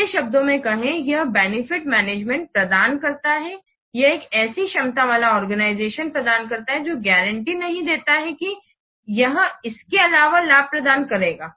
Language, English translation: Hindi, This provides the benefits management, it provides an organization with a capability that does not guarantee that this will provide benefits emphasized